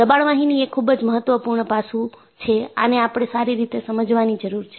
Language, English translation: Gujarati, So, pressure vessels are very important aspect that needs to be understood well